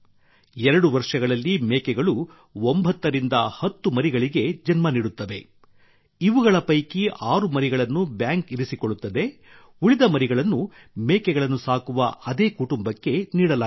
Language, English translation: Kannada, Goats give birth to 9 to 10 kids in 2 years, out of which 6 kids are kept by the bank, the rest are given to the same family which rears goats